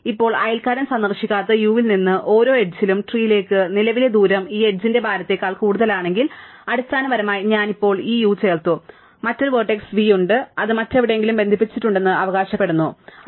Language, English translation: Malayalam, Now, for every edge out of u whose neighbour is not visited, if the current distance to the tree is more than the weight of this edge, so basically I had now added this u and there is another vertex v and it claims to be connected somewhere else, right